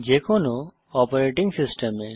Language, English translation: Bengali, That is, on any Operating System